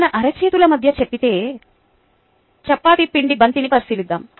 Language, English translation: Telugu, let us consider a ball of chappati dough between the palms of our hands